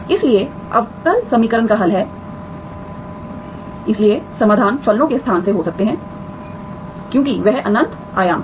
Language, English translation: Hindi, Therefore solution of the differential equation is, so the solutions can be from a space of functions, for that is infinite dimension